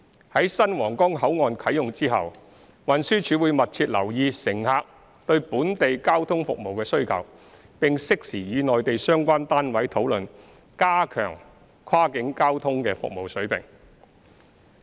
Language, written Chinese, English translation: Cantonese, 在新皇崗口岸啟用後，運輸署會密切留意乘客對本地交通服務的需求，並適時與內地相關單位討論加強跨境交通的服務水平。, After the commissioning of the Huanggang Port the Transport Department will keep a close watch on the passengers demand of local transport services and will conduct timely discussion with the relevant Mainland authorities on the enhancement of the level of cross - boundary transport services